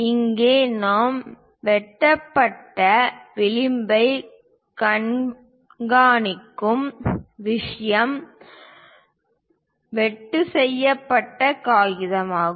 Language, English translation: Tamil, So, here, the thing what we are showing trimmed edge is the paper up to which the cut has been done